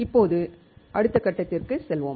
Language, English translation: Tamil, Let us now go to the next step